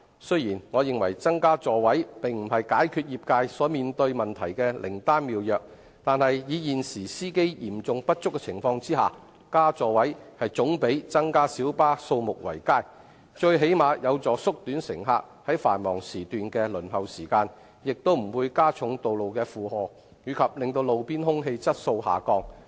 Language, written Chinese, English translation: Cantonese, 雖然我認為增加座位並不是解決業界所面對問題的靈丹妙藥，但在現時司機嚴重不足的情況下，增加座位總比增加小巴數目為佳，最低限度有助縮短乘客於繁忙時段的輪候時間，亦不會加重道路的負荷及令路邊空氣質素下降。, While I think the increase of the seating capacity is not a panacea for resolving the problems faced by the trade in the face of a serious shortage of drivers an increase in seats is after all better than an increase in the number of light buses as it at least helps reduce the waiting time of passengers during peak hours and it will neither overburden the roads nor aggravate roadside air quality